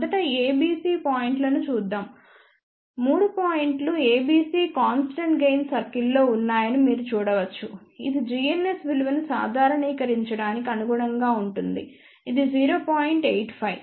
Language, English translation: Telugu, Let us first look at points A B C, you can see that all the 3 points A B C are on the constant gain circle which corresponds to normalize value of g ns which is 0